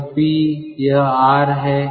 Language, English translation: Hindi, so p and r